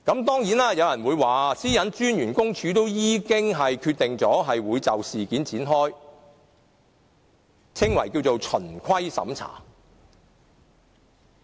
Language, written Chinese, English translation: Cantonese, 當然，有人說個人資料私隱專員公署已經決定就事件展開所謂的循規審查。, Some people say that the Office of the Privacy Commissioner for Personal Data PCPD has already decided to carry out an investigation called compliance audit